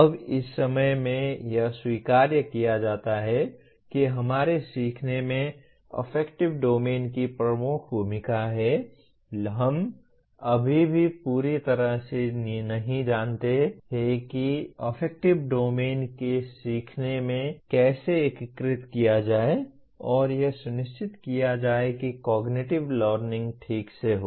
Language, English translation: Hindi, Now, in this while it is universally acknowledged that affective domain has a major role to play in our learning but, we still do not know completely how to integrate the affective domain into learning and make sure that the cognitive learning takes place properly